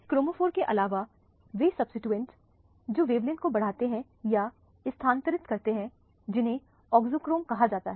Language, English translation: Hindi, In addition to chromophores there are substituents which enhance or shift the wavelength which are called auxochrome